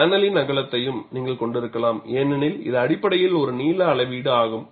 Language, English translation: Tamil, You could also have the width of the panel, because it is essentially a length measure